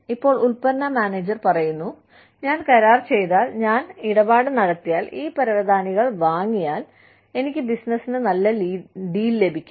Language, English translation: Malayalam, Now, the product manager says, that if I do the deal, if I make the deal, if I buy these carpets, I will get a good deal for the business